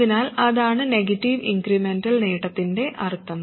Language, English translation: Malayalam, So that is the meaning of negative incremental gain